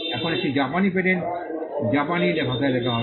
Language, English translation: Bengali, Now a Japanese patent will be written in Japanese language